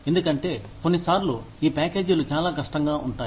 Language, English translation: Telugu, Because, sometimes, these packages are very complex